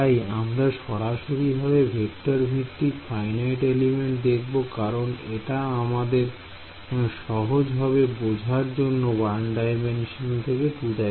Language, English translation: Bengali, So, what we will do is we will directly jump to vector based a finite elements because you can it is easy for you to follow the logic of 1D to 2D scalar